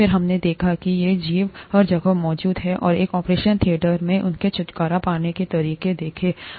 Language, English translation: Hindi, Then we saw that these organisms are present everywhere, and started looking at how to get rid of them in an operation theatre